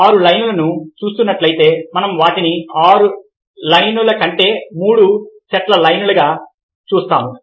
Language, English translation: Telugu, if you are looking at the six lines, we tend to see them as three sets of lines rather than a six lines